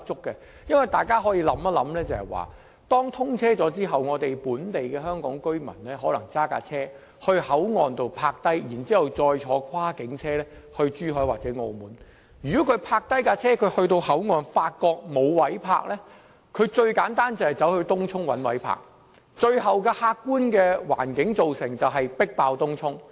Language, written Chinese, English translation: Cantonese, 大家試想象，當大橋通車後，本地香港居民可能會駕車到口岸停泊，然後再乘搭跨境車輛前往珠海或澳門，如果市民抵達口岸時，發覺沒有泊車位，最簡單的做法是把車輛駛往東涌尋找泊車位。, Imagine after the commissioning of HZMB local Hong Kong residents may drive to HKP park their cars there and travel to Zhuhai or Macao by cross - boundary transport . If there is no parking spaces available at HKP the simplest alternative for the people is to drive the cars to Tung Chung in search for parking spaces